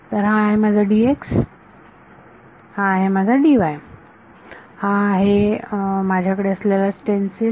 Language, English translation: Marathi, So, this is my D x this is my D y, this is the stencil that I have